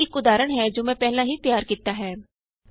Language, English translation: Punjabi, Here is an example that I have already created